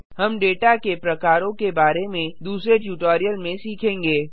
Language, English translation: Hindi, We will learn about data types in another tutorial